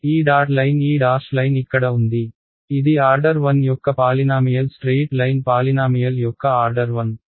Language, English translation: Telugu, This dotted line this dash line over here, this is a polynomial of order 1 straight line is polynomial of order 1